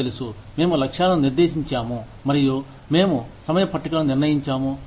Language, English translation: Telugu, You know, we have set goals, and we have set timetables